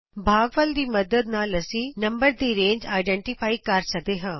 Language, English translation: Punjabi, With the help of the quotient we can identify the range of the number